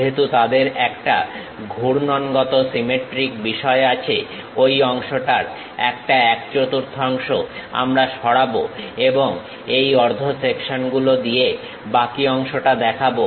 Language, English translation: Bengali, Because, they have rotationally symmetric thing, some one quarter of that portion we will remove it and show the remaining part by half sections